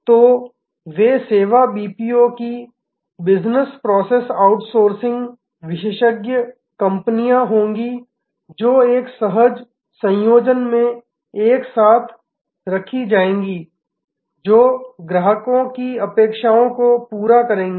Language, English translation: Hindi, So, they will be service BPO's Business Process Outsourcing expert companies put together in a seamless combination will meet this customers array of expectation